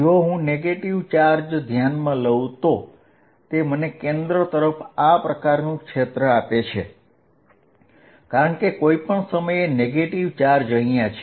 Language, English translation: Gujarati, If I look at the negative charge it gives me a field like this towards the centre, because the negative charge at any point